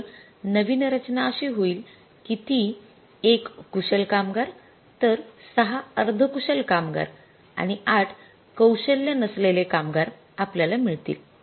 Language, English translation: Marathi, So, the new composition will become like that will be the one skilled worker, then you will get how many, six semi skilled workers and eight unskilled workers